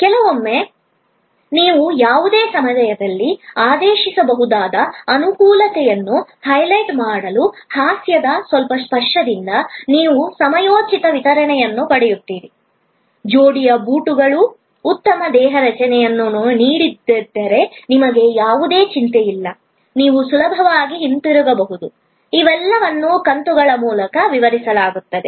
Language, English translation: Kannada, Sometimes with the little bit touch of humor to highlight the convenience that you can order any time; that you will get timely delivery; that you need not have any worry if the pair of shoes does not offer good fit, you can return easily, all these are explained through episodes